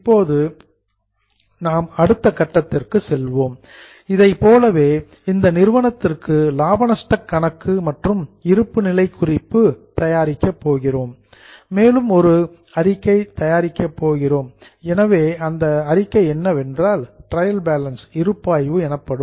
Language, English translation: Tamil, Now we are going to next step where for the same case we will prepare P&L as well as balance sheet in fact we will also prepare one more statement known as trial balance